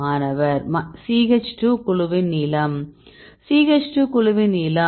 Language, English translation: Tamil, Length of the CH2 group Length of the CH 2 group right